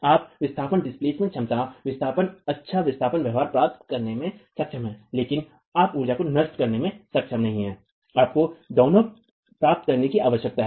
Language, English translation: Hindi, You are able to get the displacement capacity, the displacement, good displacement behavior, but you're not able to dissipate energy